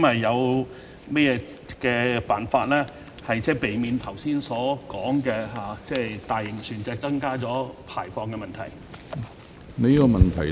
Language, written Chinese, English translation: Cantonese, 有甚麼辦法可避免剛才所說大型船隻增加排放的問題？, Are there any ways to prevent an increase in emissions caused by large vessels as mentioned just now?